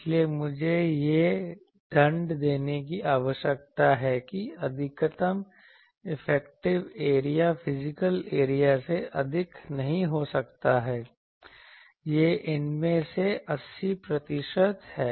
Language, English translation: Hindi, So, I need to give the penalty that maximum effective area cannot be more than the physical area it is 80 percent of these